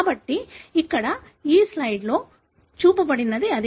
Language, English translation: Telugu, So, that is what is shown in this slide here